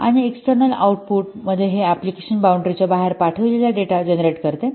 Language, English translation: Marathi, And in external output, it generates data that is sent outside the application boundary